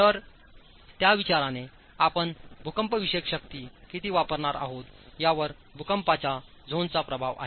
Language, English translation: Marathi, So, from that consideration, one, the seismic zonation itself has an effect on how much seismic force you are going to use